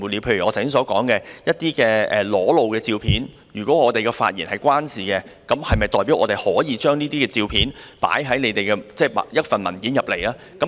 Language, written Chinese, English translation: Cantonese, 例如我剛才所說，一些裸露的照片，若與我們的發言有關，是否代表我們就可以放在提交立法會的文件裏？, For example as I have just said if some naked photos are relevant to our speeches does it mean that we can put them in the papers tabled in the Legislative Council?